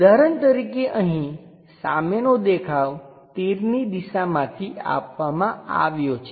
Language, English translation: Gujarati, For example like, here the front view is given by arrow direction